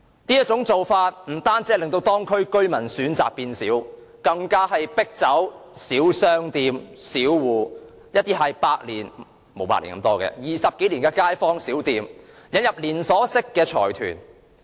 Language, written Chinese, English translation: Cantonese, 這種做法不單令當區居民的選擇減少，更迫走地區的小商戶、20多年的街坊小店，轉而引入連鎖式財團。, Such practices have not only deprived local residents of choices but have also forced small shops and neighbourhood stalls with over 20 years of history to move out which are replaced by chain stores of large consortia